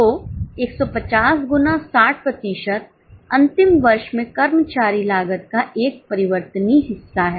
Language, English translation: Hindi, So, 150 into 60% is into 60 percent is a variable portion of employee cost in the last year